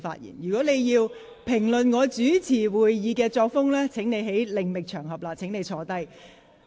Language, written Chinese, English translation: Cantonese, 你如要評論我主持會議的作風，請另覓場合，現在請你坐下。, If you wish to comment on my style of presiding over the meeting please do it on another occasion . Now will you please sit down